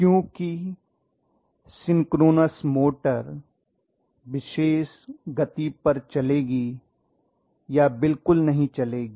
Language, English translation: Hindi, Because synchronous motor will run at particular speed or does not run at all